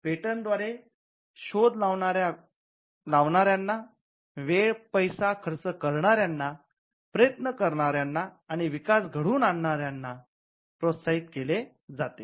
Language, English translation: Marathi, The patent system actually incentivizes people to take risky tasks like spending time, effort and money in developing inventions